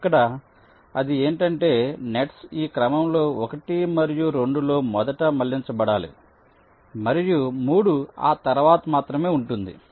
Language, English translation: Telugu, so here what he say is that the nets have to be routed in this order: one and two first, and three will be only after that